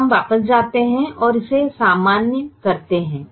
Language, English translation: Hindi, now we go back and generalize it further